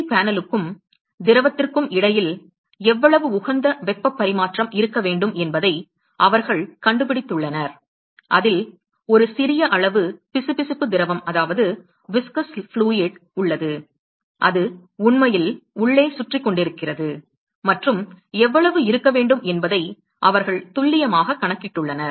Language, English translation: Tamil, They have worked out what should be the optimum amount of heat transfer that should occur between the LED panel and the liquid there is a small amount of viscous liquid, which is actually circulating inside and they have made a precise calculation of how much should be the exact heat transfer and what should be the volume of the viscous fluid, etcetera